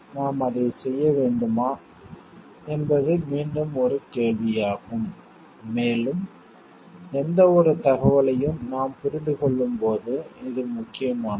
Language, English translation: Tamil, So, these are like should we be doing it is again a question and because when we understand any information, which is important